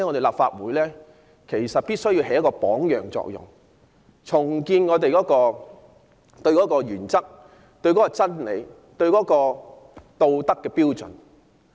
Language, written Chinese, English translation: Cantonese, 立法會必須發揮榜樣作用，重建恪守原則和真理的道德標準。, The Legislative Council must set an example in this regard and rebuild the moral standards by adhering to principles and truth